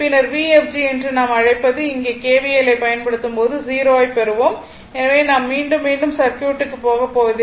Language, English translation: Tamil, Similarly, V fg is equal to v minus V ef you apply kvl here right, then you will get 0 here what we call V fg we apply the kvl in the circuit